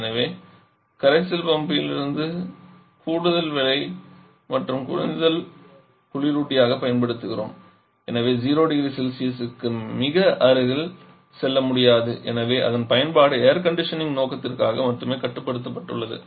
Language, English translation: Tamil, So, additional work for the solution forms and also the constant on low temperature as we are using water as a refrigerator so we cannot go very close to zero degree Celsius and therefore its application is restricted only to air conditioning purpose